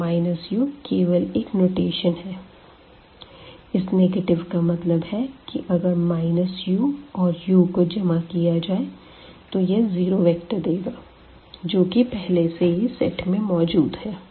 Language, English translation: Hindi, So, this is just a notation here minus u the negative of u such that when we add this u and this negative of u we must get the zero vector which already exists there in the set